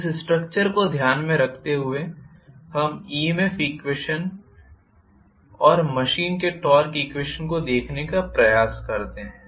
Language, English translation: Hindi, Now, let us try to with this structure in mind let, us try to look at the EMF equation and torque equation of the machine